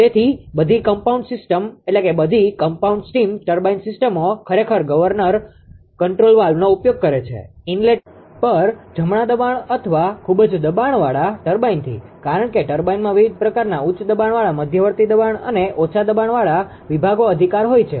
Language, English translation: Gujarati, So, all compound steam turbine systems actually utilized governor control valves, at the inlet right to the high pressure or very high pressure turbine, because turbine have different type of high pressure intermediate pressure and low low pressure ah sections right